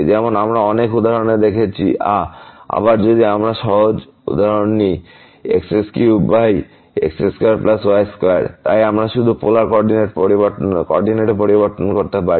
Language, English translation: Bengali, As we have seen in many examples ah, like again if we take the simple example cube over square plus square; so we can just change the polar co ordinate